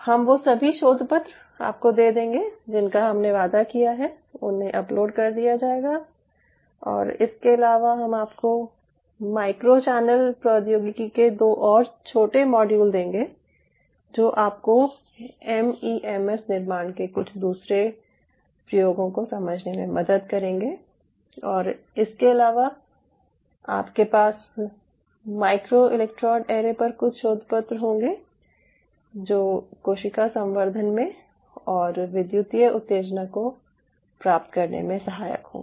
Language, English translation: Hindi, i will give all the papers what i have promised they will be uploaded and apart from it, i will give you two more small modules of ah micro channel technology which will help you to realize some of the other application of the mems fabrication which are being used, and apart from it, you will have skew papers on micro electrode arrays and if it is in cell culture and achieving electrical excitability